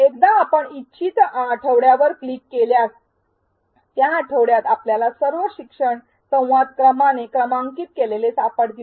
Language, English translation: Marathi, Once you click on the desired week, you will find all the learning dialogues for that week numbered sequentially